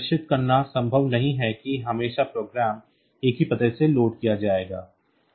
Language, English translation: Hindi, And it is not possible to ensure that always the program will be loaded from the same address